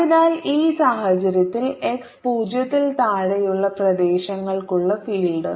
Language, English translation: Malayalam, so in this case the field for regions x less than zero